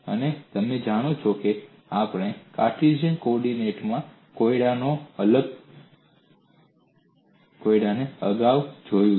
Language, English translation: Gujarati, And you know we have looked at the problem in Cartesian coordinates earlier